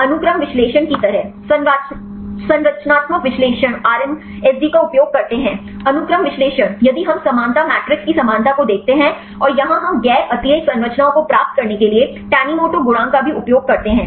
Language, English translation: Hindi, Like the sequence analysis; structural analysis use RMSD; sequence analysis if we look the similarity of the similarity matrix and here also we use the tanimoto coefficient to get the non redundant structures